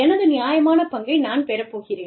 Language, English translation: Tamil, And, i am going to get my, fair share